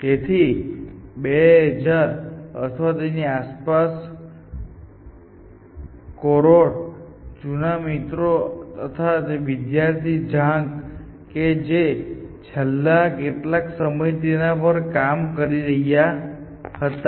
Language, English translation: Gujarati, So, in 2000 or so Koror old friend who is been working on this for a while and his student Zhang